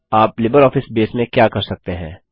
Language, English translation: Hindi, What can you do with LibreOffice Base